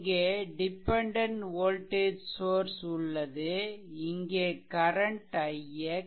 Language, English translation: Tamil, So, there is so dependent voltage source is there, and this current is i x